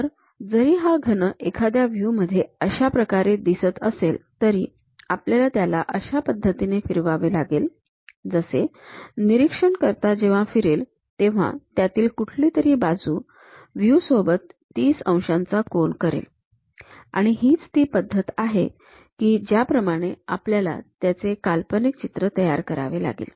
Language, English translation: Marathi, So, though the cube might looks like this in one of the view; we have to rotate in such a way that, as an observer moves around that, so that one of the edges it makes 30 degrees angle with the view, that is the way we have to visualize it